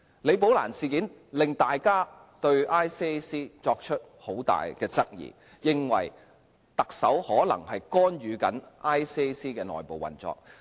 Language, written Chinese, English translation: Cantonese, "李寶蘭事件"令大家對廉政公署作出很大質疑，認為特首可能干預廉政公署的內部運作。, Following the occurrence of the Rebecca LI incident Members have raised serious doubts about ICAC and believed that the Chief Executive might have interfered in the internal operation of ICAC